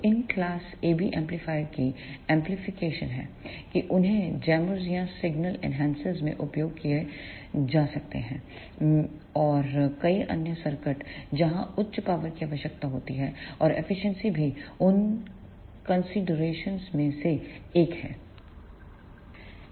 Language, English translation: Hindi, So, the application of these class AB amplifiers are they can be used in the chambers or single enhancers and in many other circuits wherever high power is required and efficiency is also one of the consideration